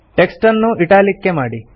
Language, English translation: Kannada, Make the text Italics